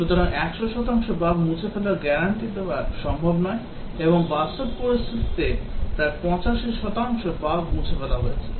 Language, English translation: Bengali, Therefore, guaranteeing removal of 100 percent bugs is not possible and in a realistic situation about 85 percent bugs have been removed